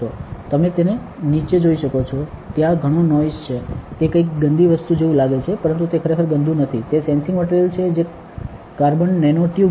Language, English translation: Gujarati, So, you can see that underneath, there is a lot of noise right lot of it, it looks like some dirty thing, but it is not actually dirty, it is the sensing material which is carbon nano tubes